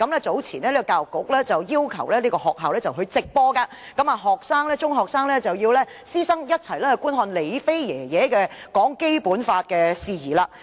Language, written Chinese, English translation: Cantonese, 早前，教育局曾要求學校直播該研討會，並且中學師生須觀看"李飛爺爺"談《基本法》的事宜。, Earlier on the Education Bureau has requested schools to conduct a live broadcast of the seminar and further requested secondary teachers and students to watch Grandpa LI Feis speech on the Basic Law